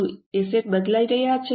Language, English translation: Gujarati, Are the assets changing